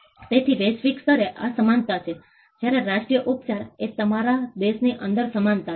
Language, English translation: Gujarati, So, this is equality at the global level, whereas national treatment is equality within your country